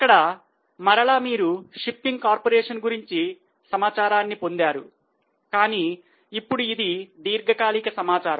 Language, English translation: Telugu, So, here again we have got the data for shipping corporation but now it's a long term data, it's a five year data